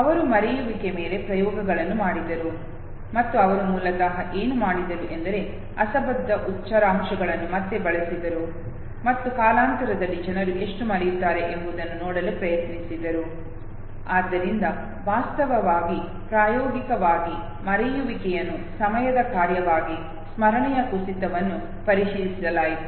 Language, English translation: Kannada, Who conducted experiments on forgetting and he basically what he did was he again use the nonsense syllables okay tried to see how much people forget okay over a period of time so forgetting was actually experimentally verified in terms of decline of memory as a function of time